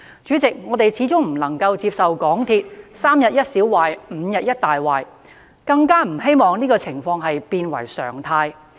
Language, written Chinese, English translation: Cantonese, 主席，我們始終不能夠接受港鐵"三天一小壞、五天一大壞"，更不希望這種情況變為常態。, President we simply cannot accept the large and small problems with the MTRCL railway services that take places every few days . We certainly do not want this to become the norm